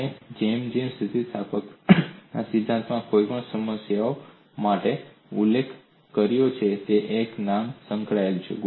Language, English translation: Gujarati, And as I mention for any of the problem in theory of elasticity a name is associated